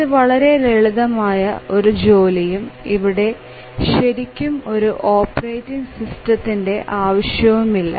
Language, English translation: Malayalam, So, that is a very simple task and we do not really need an operating system